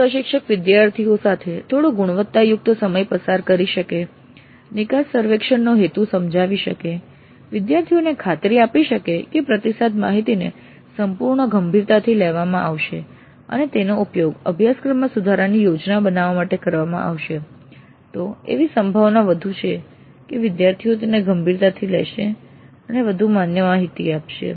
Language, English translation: Gujarati, So if the instructor can spend some quality time with the students, explain the purpose of the exit survey, assure the students that the feedback data would be taken in all its seriousness and would be used to plan improvements for the course delivery, then it is more likely that the students would take it seriously and provide more valid data